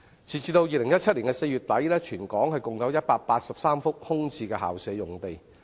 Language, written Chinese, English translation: Cantonese, 截至2017年4月底，全港共有183幅空置校舍用地。, As at the end of April 2017 there were a total of 183 vacant school premises in Hong Kong